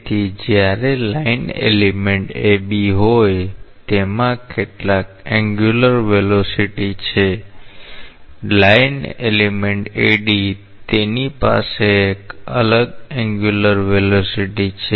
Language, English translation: Gujarati, So, the line elements say AB it has some angular velocity, the line element AD; it has a different angular velocity